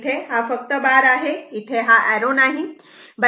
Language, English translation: Marathi, Here, it will be bar only, no arrow right